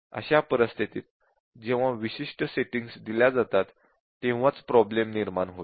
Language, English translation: Marathi, So, in that cases it would only when those specific settings are given it would cause the problem